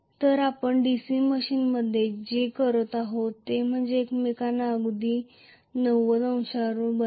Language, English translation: Marathi, So what we do in a DC machine is to make them exactly at 90 degrees to each other